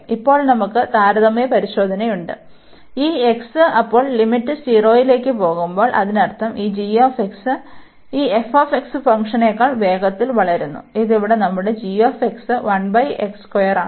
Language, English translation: Malayalam, And now we have the comparison test, when this x then the limit is going to 0 that means this g x is growing faster than this f x function, and this is our g x here 1 over x square